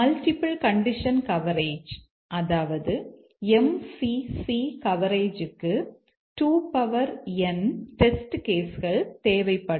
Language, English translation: Tamil, The multiple condition coverage MCC or the multiple condition coverage will require 2 to the par end test cases